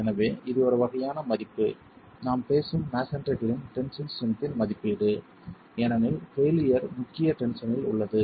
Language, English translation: Tamil, So, this is the sort of value, an estimate of the tensile strength of masonry that we are talking of because the failure is in the principal tension itself